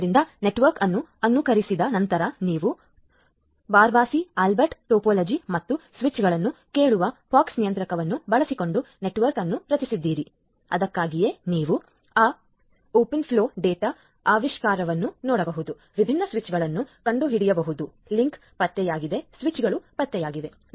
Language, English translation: Kannada, So, after emulating the network so, you have created the network using Barabasi Albert topology and the pox controller listening to the switches that is why you can see that open flow dot discovery, discover different switches the link detected the switches detected